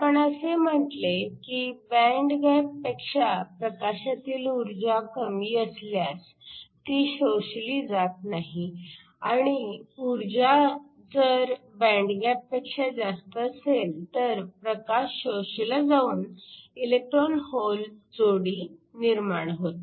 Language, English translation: Marathi, We said that, if the energy of the light is less than the band gap it will not get absorbed and if the energy is more than the band gap then the light can get absorbed creating electron hole pairs